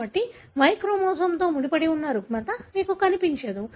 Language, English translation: Telugu, So therefore you don’t see disorder that is linked to Y chromosome